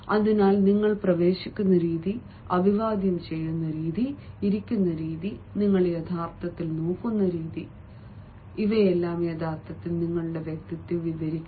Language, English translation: Malayalam, so the way you enter, the way you great, the way you sit, the way you bend, the way you actually take glances, all these actually go along way in describing your personality